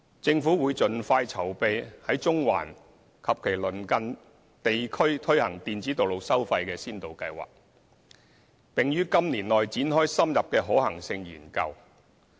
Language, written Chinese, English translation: Cantonese, 政府會盡快籌備在中環及其鄰近地區推行電子道路收費先導計劃，並於今年內展開深入的可行性研究。, The Government will make early preparation for the implementation of the Electronic Road Pricing Pilot Scheme in Central and its vicinity and will commence an in - depth feasibility study on the Scheme within this year